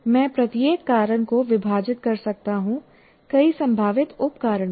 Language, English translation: Hindi, And each cause again, I can divide it into several possible causes here